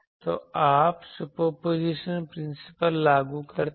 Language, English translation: Hindi, So, then, you apply Superposition principle